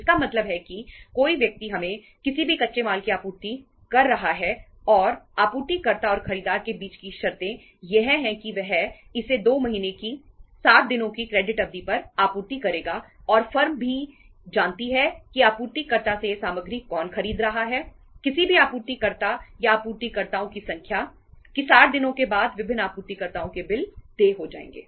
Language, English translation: Hindi, It means say somebody is supplying us any raw material and the the terms between the supplier and the buyer is that he will supply it on a credit period of 2 months for a period of 60 days and the firm also knows who is buying this material from supplier, any supplier or number of suppliers that after 60 days bills of different suppliers will become due